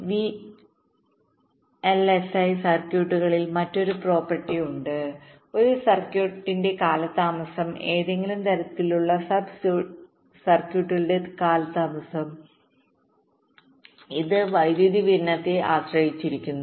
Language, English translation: Malayalam, there is another property in vlsi circuits is that, ah, the delay of a circuit, delay of a some kind of a sub circuits, it depends on the power supply